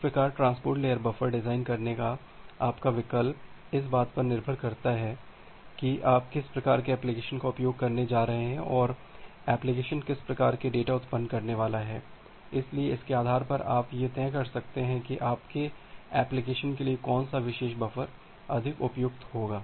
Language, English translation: Hindi, So, that way your choice of designing a transport layer buffer depends on what type of applications, you are going to use and what type of data the applications are going to generate; so based on that you can decide that which particular buffer will be more suitable for your application